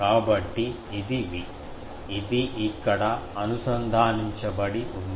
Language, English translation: Telugu, So, this is V, this is connected here